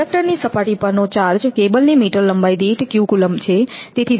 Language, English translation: Gujarati, Let the charge on the surface of the conductor be q coulomb per meter length of cable